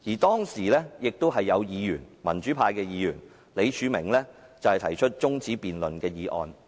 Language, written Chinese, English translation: Cantonese, 當時亦有民主派議員李柱銘提出辯論中止待續的議案。, Ms Elsie LEUNG thus proposed a non - binding motion to which pro - democracy Member Mr Martin LEE moved an adjournment motion